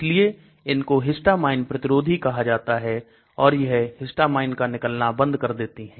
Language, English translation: Hindi, So they are called antihistamines okay they block the histamine release